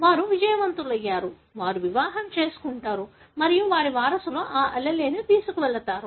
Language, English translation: Telugu, They are successful, they marry more and their descendants will carry that allele